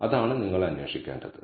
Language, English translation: Malayalam, That is what you are looking for